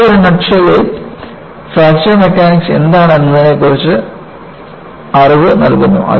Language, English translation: Malayalam, And, this gives in a nut shell, what is Fracture Mechanics is all about